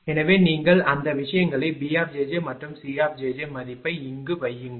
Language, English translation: Tamil, So, if you put those things B and C j B j j and C j j value here